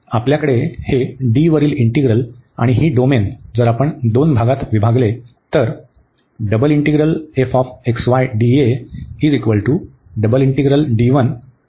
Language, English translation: Marathi, So, we have this integral over D and this domain if we break into two parts